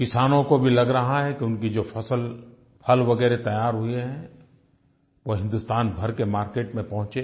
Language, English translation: Hindi, Farmers also feel that their ripened crops and fruits should reach markets across the country